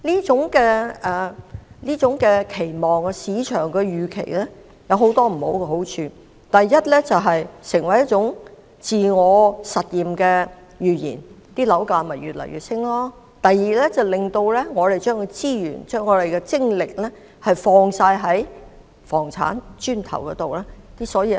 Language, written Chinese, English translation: Cantonese, 這種期望及市場預期有很多弊處：第一，造成一種自我實現的預言，樓價便不斷上升；第二，令市民把所有資源投放於房產上。, There are many drawbacks in this kind of expectation and market anticipation . First it creates a forecast of self - realization and results in the incessant soaring of housing prices . Second members of the public tend to invest all their resources in properties